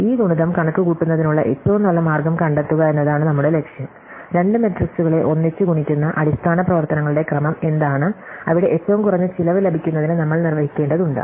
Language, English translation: Malayalam, And our goal is to find an optimum way to compute this product, what is the sequence of basic operations multiplying two matrices together there we need to perform to get the minimum overall cost